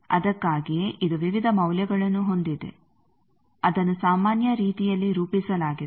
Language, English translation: Kannada, So that is why it has various values which are plotted in normalize way